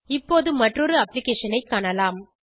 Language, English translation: Tamil, Now lets look at another application